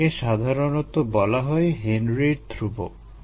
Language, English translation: Bengali, this is usually the henrys law constant